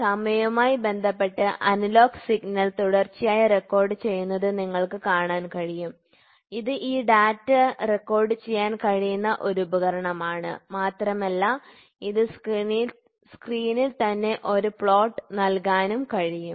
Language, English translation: Malayalam, So, you can see the analogous signal continuously recorded with respect to time, this is a device wherein which this data can be recorded and it can also nowadays, it can also give a plot from the screen itself